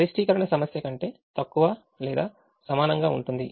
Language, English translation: Telugu, maximization problem: less than or equal to